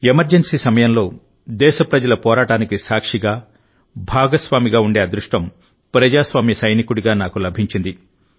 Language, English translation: Telugu, During the Emergency, I had the good fortune to have been a witness; to be a partner in the struggle of the countrymen as a soldier of democracy